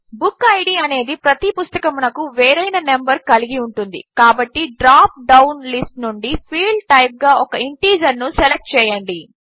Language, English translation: Telugu, Since the BookId will be a different number for each book, select Integer as the Field Type from the dropdown list